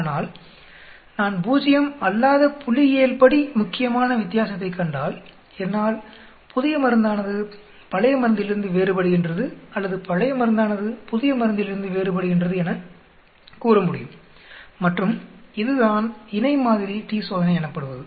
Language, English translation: Tamil, But if, I see a statistically significant difference which is away from 0, then I can say the new drug is different from old drug or the new treatment is different from the old treatment and that is, what is paired sample t Test